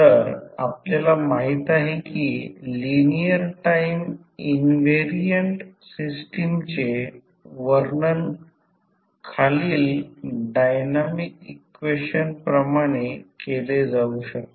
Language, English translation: Marathi, So, we know that the linear time invariant system can be described by following the dynamic equation